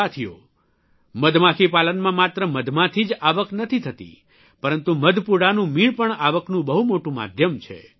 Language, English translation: Gujarati, Friends, Honey Bee Farming do not lead to income solely from honey, but bee wax is also a very big source of income